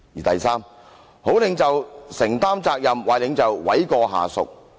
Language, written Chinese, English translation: Cantonese, "第三，好領袖承擔責任，壞領袖諉過下屬。, Third a good leader takes up responsibilities while a bad leader lays the blame on subordinates